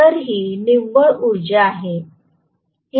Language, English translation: Marathi, So, this will be the net power